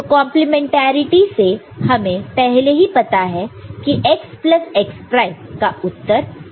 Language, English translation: Hindi, So, we already know that from the complementarity the basic complementarity, x plus x prime is equal to 1